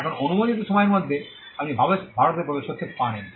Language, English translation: Bengali, Now within the time period allowed, you can enter India